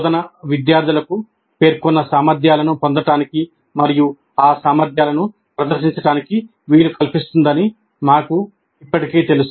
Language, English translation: Telugu, We already know that instruction must facilitate students to acquire the competencies stated and demonstrate those competencies